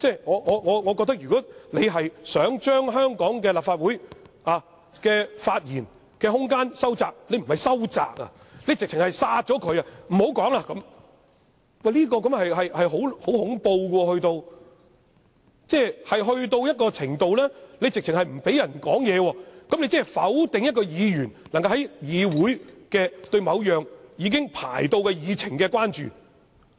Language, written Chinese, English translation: Cantonese, 我覺得，如果他想將香港立法會的發言空間收窄——他不是收窄，簡直是扼殺——不讓議員討論，這是十分恐怖，達致不讓議員發言的程度，即否定一名議員能夠在議會，表達對某項已經列入議程的議案的關注。, Should he aim to tighten the room for speech in the Legislative Council of Hong Kong or I should say he is not tightening but strangling Members room for discussion then this is really horrible . This amounts to banning Members from speaking that is denying Members function to express concern in the Council about a motion listed on the agenda